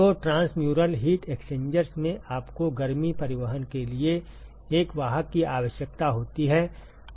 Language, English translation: Hindi, So, in transmural heat exchangers you need a carrier for heat transport